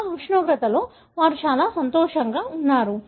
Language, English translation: Telugu, They are very happy in that temperature